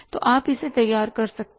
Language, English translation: Hindi, So, you can prepare it